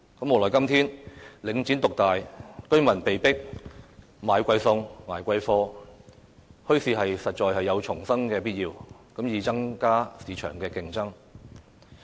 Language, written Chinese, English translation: Cantonese, 無奈今天領展獨大，居民被迫"買貴餸"、"捱貴貨"，墟市實在有重生的必要，以增加市場競爭。, Regrettably given the dominance by Link REIT nowadays the residents are forced to pay expensive prices for food and goods and so there is indeed a need to revive bazaars thereby increasing competition in the market